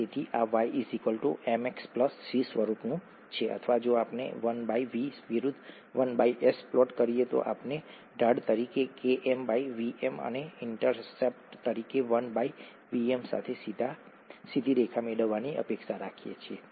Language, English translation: Gujarati, So this is of the form y equals to mx plus C or if we plot 1by V versus 1by S we expect to get a straight line with Km by Vm as a slope and 1 by Vm as the intercept